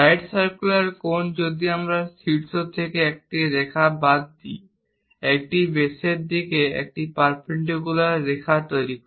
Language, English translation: Bengali, Let us take a right circular cone; right circular cone, if we are dropping from apex a line, it makes perpendicular line to the base